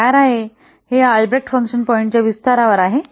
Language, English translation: Marathi, It is built on, it is actually an extension of this Albreast function points